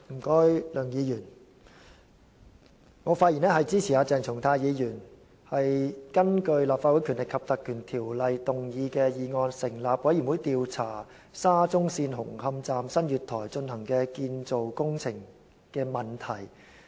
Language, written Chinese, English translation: Cantonese, 主席，我發言支持鄭松泰議員提出的議案，根據《立法會條例》成立專責委員會調查沙田至中環線紅磡站月台的建造工程問題。, President I speak in support of the Dr CHENG Chung - tais motion to form a select committee under the Legislative Council Ordinance to inquire into the problems with the construction works at the platform of Hung Hom Station of the Shatin to Central Link SCL